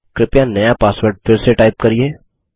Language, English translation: Hindi, Please type the new password again